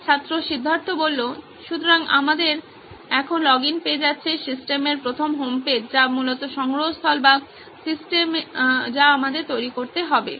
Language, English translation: Bengali, So now we have the login page and the first homepage of the system basically the repository or the system what we have to develop